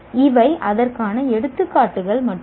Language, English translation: Tamil, These are only examples of that